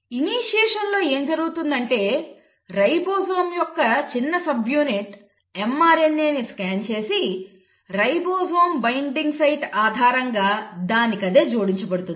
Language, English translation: Telugu, What is happening in initiation is the ribosome, the small subunit of ribosome scans this mRNA and attaches itself based on ribosome binding site and then here is a start codon